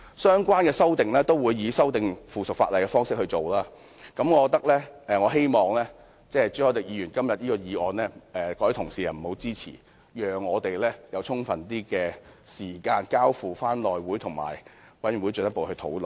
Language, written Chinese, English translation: Cantonese, 相關的修訂都會以附屬法例的方式進行，我希望各位同事不要支持朱凱廸議員這項議案，讓我們有更充分的時間交付內務委員會及相關委員會進一步討論。, The relevant amendments will be effected by way of subsidiary legislation . I hope Honourable colleagues will not support Mr CHU Hoi - dicks motion allowing the Bill enough time to be referred to the House Committee and a relevant committee for further discussion